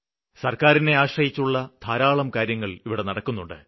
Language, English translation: Malayalam, There are many things for which we are dependent on the government